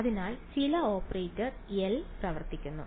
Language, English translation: Malayalam, So, some operator L acts on